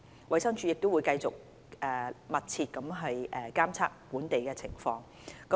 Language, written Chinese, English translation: Cantonese, 衞生署會繼續密切監測本地的情況。, The DH will continue to closely monitor the situation in Hong Kong